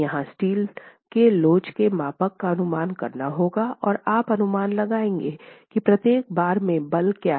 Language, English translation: Hindi, So, here, models of elasticity of steel has to be assumed and you will estimate what is the force in each bar